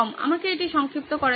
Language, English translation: Bengali, Let me abbreviate it